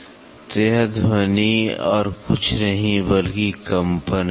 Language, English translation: Hindi, So, these sounds are nothing, but vibration